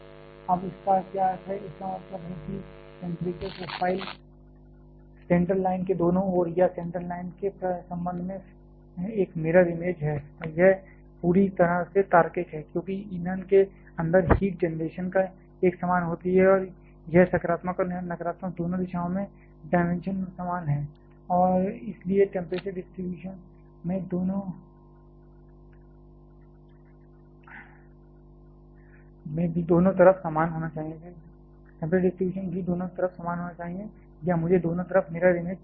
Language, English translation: Hindi, Now, what does that mean ; that means, that the temperature profile is a mirror image on either side of the center line or with respect to the center line and that is perfectly logical; because the heat generation inside the fuel is uniform and it is dimension in both positive and negative x directions are identical and hence temperature distribution should also be identical on both sides or I should say mirror image on either sides